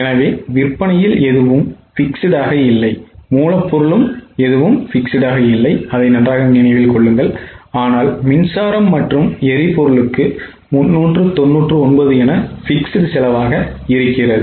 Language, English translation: Tamil, So, in sales nothing is fixed, raw material nothing is fixed but for power and fuel 399 is fixed